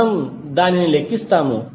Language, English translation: Telugu, We just calculate it